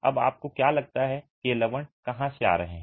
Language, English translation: Hindi, Now where do you think the salts are coming from